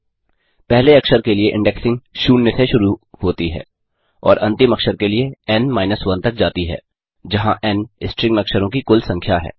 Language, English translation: Hindi, The indexing starts from 0 for the first character and goes up to for the last character, where n is the total number of characters in a string